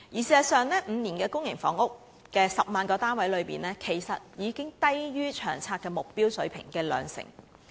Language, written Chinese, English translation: Cantonese, 事實上 ，5 年提供10萬個公營房屋單位這數字，其實已較《長遠房屋策略》的目標水平低了兩成。, In fact the provision of 100 000 public housing units in five years is 20 % lower than the target level of the Long Term Housing Strategy